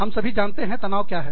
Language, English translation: Hindi, We all know, what stress is